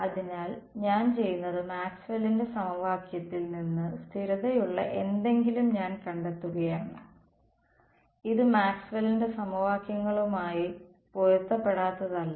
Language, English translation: Malayalam, So, what I am doing is from Maxwell’s equation I am finding out something which is consistent right this is not inconsistent with Maxwell’s equations